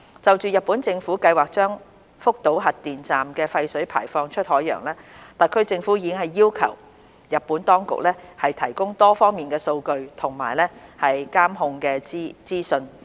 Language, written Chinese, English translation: Cantonese, 就日本政府計劃將福島核電站的廢水排放出海洋，特區政府已要求日本當局提供多方面的數據和監控的資訊。, Regarding the Japanese Governments plan to discharge wastewater from the Fukushima nuclear power station into the ocean the HKSAR Government has requested the Japanese authorities to provide data from various aspects and information on control and surveillance